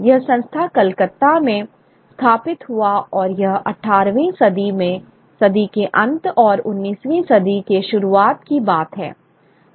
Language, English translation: Hindi, This was an institution set up in Calcutta, and that was in the very late 18th early 19th century